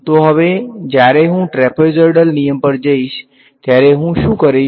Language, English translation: Gujarati, So now, when I go to trapezoidal rule what am I going to do